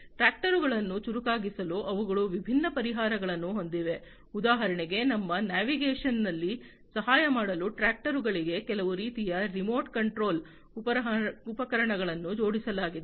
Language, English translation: Kannada, They also have different solutions for making the tractors smarter, for example, you know having some kind of remote control equipment attached to the tractors for aiding in their navigation